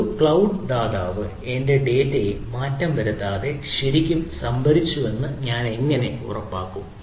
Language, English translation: Malayalam, how do i ensure that a cloud provider really stored my data without tempering it